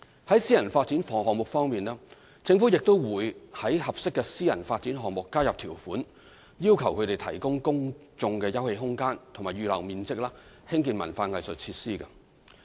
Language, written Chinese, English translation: Cantonese, 在私人發展項目方面，政府也會在合適的私人發展項目加入條款，要求它們提供公眾休憩空間或預留面積興建文化藝術設施。, As regards private development projects the Government will also incorporate some terms into appropriate private development projects requiring developers to provide public open space or set aside certain floor areas for the construction of cultural and arts facilities